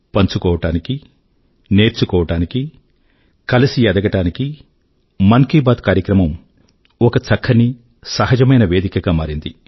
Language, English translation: Telugu, Mann Ki Baat has emerged as a fruitful, frank, effortless & organic platform for sharing, learning and growing together